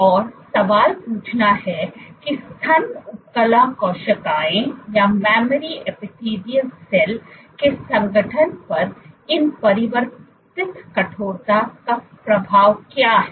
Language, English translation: Hindi, And to ask the question that what is the effect of these altered stiffness on the organization of mammary epithelial cells